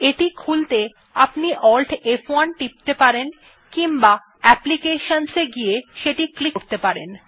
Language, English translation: Bengali, To open this, you can press Alt+F1 or go to applications and click on it